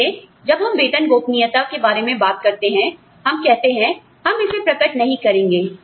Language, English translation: Hindi, So, when we talk about, pay secrecy, we say, we will not disclose it